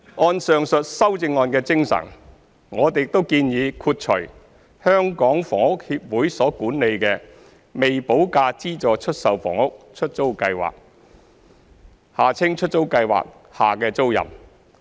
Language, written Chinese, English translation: Cantonese, 按上述修正案的精神，我們亦建議豁除香港房屋協會所管理的"未補價資助出售房屋——出租計劃"下的租賃。, In line with the spirit of the above proposed CSA we have proposed to also exclude tenancies made under the Letting Scheme for Subsidized Sale Developments with Premium Unpaid administered by the Hong Kong Housing Society HKHS